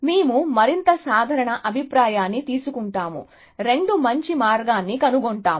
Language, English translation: Telugu, So, we will take a more general view, two is find better path